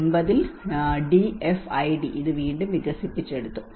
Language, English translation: Malayalam, This has been developed again by the DFID in 1999